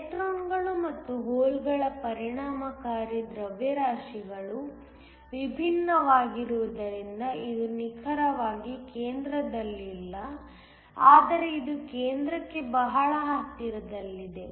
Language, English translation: Kannada, It is not exactly at the center because the effective masses of the electrons and holes are different, but it is very close to the center